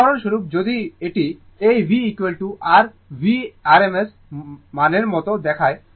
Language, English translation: Bengali, For example, if you if you look like this v is equal to your V rms value